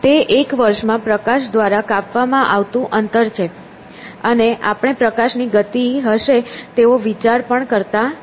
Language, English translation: Gujarati, It is a distance covered by light in one year and we do not even think of light having speed